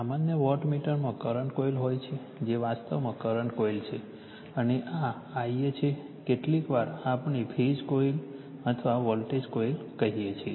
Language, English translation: Gujarati, General in a wattmeter you have a current coil this is actually current coil right and this is i am sometimes we call phasor coil or voltage coil